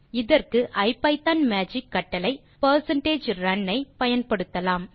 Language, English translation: Tamil, We use the IPython magic command percentage run to do this